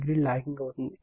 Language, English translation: Telugu, 86 degree is lagging